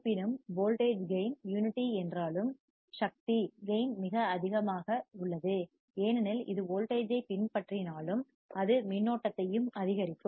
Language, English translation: Tamil, However, although the voltage gain is unity, the power gain is very high, because although it follows the voltage, it will also increase the current